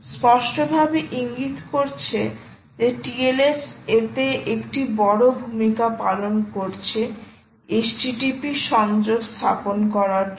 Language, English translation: Bengali, clearly indicating the tls is playing a big role in establishing the http connection